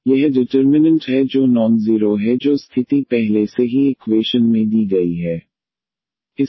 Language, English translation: Hindi, So, this is the determinant which is non zero that condition is given already in the equation